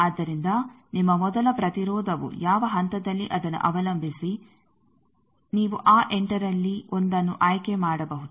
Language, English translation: Kannada, So, your first impedance at which point depending on that you can choose 1 of that 8 ones